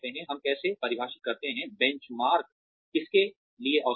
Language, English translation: Hindi, How do we define, the benchmark for, who is average